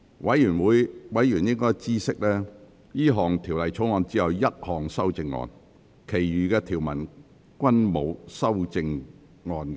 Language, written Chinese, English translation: Cantonese, 委員應知悉，這項條例草案只有一項修正案，其餘條文均沒有修正案。, Members should know that there is only one amendment to the Bill while other clauses are without amendment